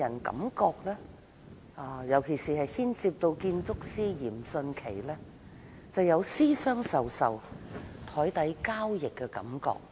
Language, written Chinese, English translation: Cantonese, 整件事情，特別是當牽涉建築師嚴迅奇，予人私相授受和檯底交易的感覺。, The entire incident gives people an impression that there were some secret dealings under the table particularly on the part involving the architect Rocco YIM